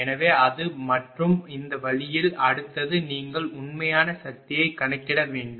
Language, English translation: Tamil, So, that and this way next one you have to compute the real power